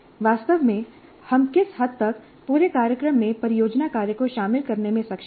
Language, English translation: Hindi, Now what is the extent to which actually we are able to incorporate project work throughout the program